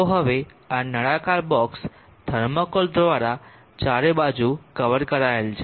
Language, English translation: Gujarati, So now this cylindrical box is covered all round by thermocol let us say